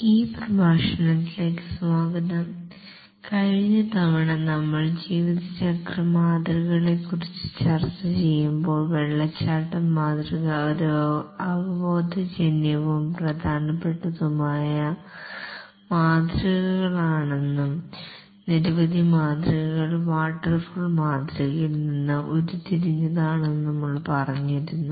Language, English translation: Malayalam, time we were discussing about lifecycle models and we had said that the waterfall model is a intuitive and important model and many models have been derived from the waterfall model